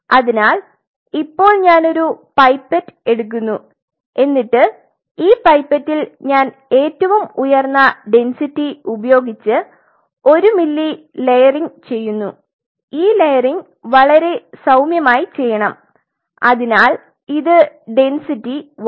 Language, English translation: Malayalam, So, now, I take a pipette and, on a pipette, I layer the highest density 1 ml layering and this layering has to be done very gently, so density 1